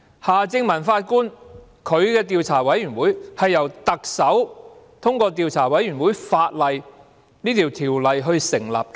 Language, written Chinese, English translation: Cantonese, 夏正民法官的調查委員會是由特首根據《調查委員會條例》成立的。, The Commission led by Mr Michael HARTMANN was formed by the Chief Executive by virtue of the Commissions of Inquiry Ordinance